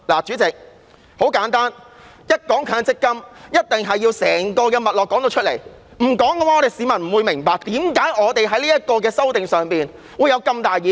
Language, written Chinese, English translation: Cantonese, 主席，很簡單，一談到強積金，一定要說出整個脈絡，因為不說出來，市民不會明白為何我們對《條例草案》會有這麼大的意見。, President simply put in discussing MPF I must explain my entire line of thought; if I do not members of the public will not understand why we are so dissatisfied with the Bill